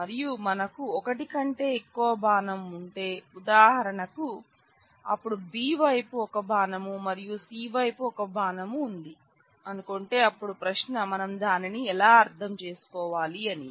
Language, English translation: Telugu, And let us say if we have a more than one arrow; there for example, suppose then we have say an arrow to B and an arrow to C the question is how should we interpret that